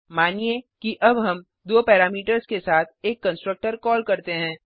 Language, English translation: Hindi, Suppose now call a constructor with two parameters